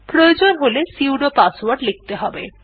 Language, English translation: Bengali, Enter the sudo password if required